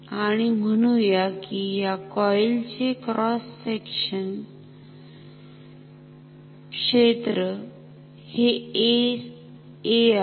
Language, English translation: Marathi, And say the cross section area of this coil is A